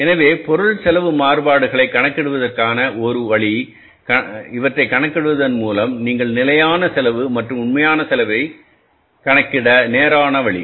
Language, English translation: Tamil, So, one way of calculating the material cost variance is straight way you calculated by calculating the standard cost and the actual cost